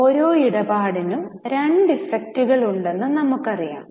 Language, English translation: Malayalam, We know that for every transaction there are two effects